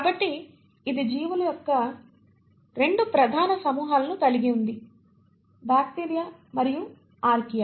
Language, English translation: Telugu, So it has 2 major groups of organisms, the bacteria and the Archaea